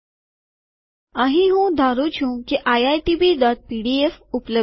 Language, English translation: Gujarati, Here I am assuming that iitb.pdf is available